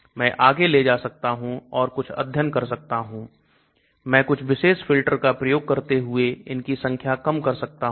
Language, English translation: Hindi, I can take it further and do some studies or I can look at much more stringent filter and try to reduce them